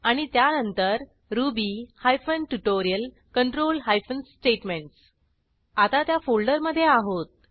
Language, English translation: Marathi, Then to ruby hyphen tutorial control hyphen statements Now that we are in that folder, lets move ahead